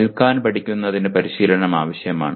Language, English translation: Malayalam, Learning to stand requires practice